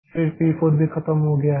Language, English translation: Hindi, Then p4 is also over